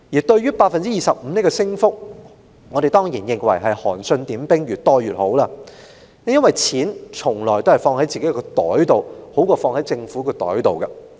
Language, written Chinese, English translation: Cantonese, 對於25個百分點的提升，我們當然認為是"韓信點兵，多多益善"，因為錢從來是放在自己的口袋中，會較放在政府的口袋中為好。, Regarding the 25 percentage point rise we of course will welcome it since the more the merrier . It is also always better to keep money in our own pockets than that of the Government